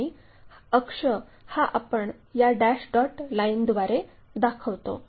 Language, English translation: Marathi, And, the axis we usually show by dash dot lines